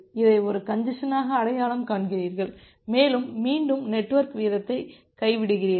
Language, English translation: Tamil, So, you identify it as a congestion and you again drop the network rate